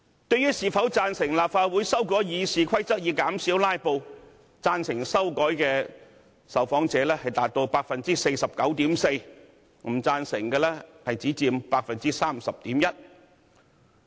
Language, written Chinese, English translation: Cantonese, 對於是否贊成立法會修改《議事規則》以減少"拉布"，贊成修改的受訪者達到 49.4%， 不贊成的只佔 30.1%。, With regard to the suggestion of preventing filibustering by amending the Rules of Procedure of the Legislative Council 49.4 % of the respondents support such an idea while only 30.1 % of the respondents disagree